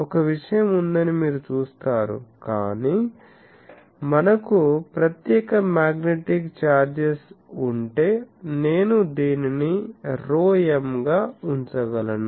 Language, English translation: Telugu, So, you see that there is a thing, but if we have separate magnetic charges I can put this to be rho m